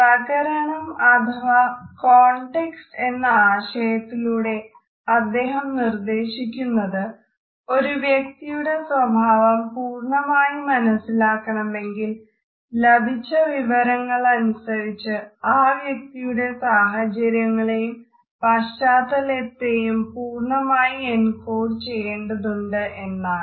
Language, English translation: Malayalam, By the idea of context, he wants to suggest that in order to understand the behavior of a person it is necessary to encode the whole situation or background of the given information